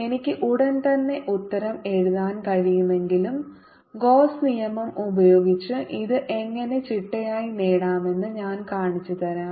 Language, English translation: Malayalam, although i can write the answer right away, i'll show you how to systematically get it using gauss law